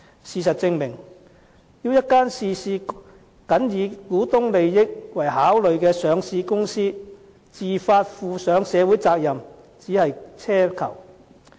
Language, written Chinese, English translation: Cantonese, 事實證明，要一間事事僅以股東利益為考慮的上市公司自發負上社會責任，只是奢求。, The reality speaks volumes about the fact that it is wishful thinking to expect a listed company merely concerned about interests of its shareholders to fulfil its social responsibility voluntarily